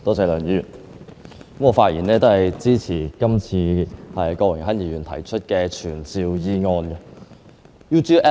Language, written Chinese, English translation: Cantonese, 梁議員，我發言支持郭榮鏗議員動議的傳召議案。, Mr LEUNG I rise to speak in support of the summoning motion moved by Mr Dennis KWOK